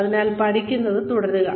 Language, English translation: Malayalam, So, keep learning